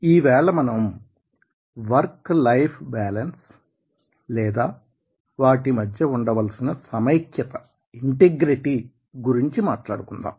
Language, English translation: Telugu, then, finally, will talk about the work life balance and integration